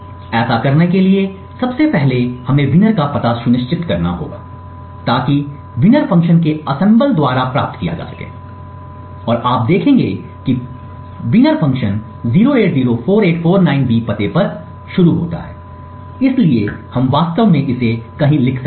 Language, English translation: Hindi, In order to do this we would first require to determine the address of winner so that would can be obtained by disassemble of the winner function and you would see that the winner function starts at the address 0804849B, so we could actually write this down somewhere